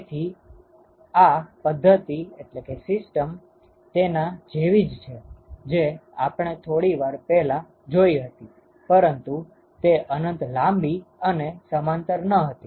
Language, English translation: Gujarati, So, therefore it is the same system like what we looked at short while ago, except that it is infinitely parallel, long and parallel now